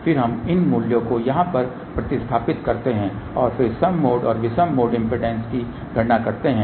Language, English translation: Hindi, Then we substitute these values over here and then calculate even mode and odd mode impedances which are given over here ok